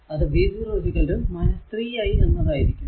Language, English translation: Malayalam, So, it is v 0 is equal to minus 3 into i